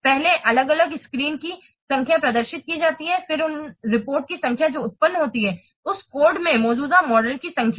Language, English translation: Hindi, First, the number of separate screens they are displayed, then the number of reports that are produced and the number of modules they are present in the code